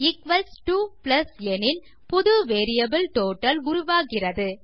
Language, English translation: Tamil, If it equals to a plus then we will create a new variable called total